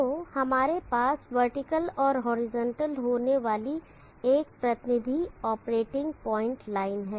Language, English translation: Hindi, So let us have a representative operating point line here having the vertical and horizontal